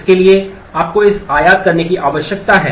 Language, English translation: Hindi, So, you need to import that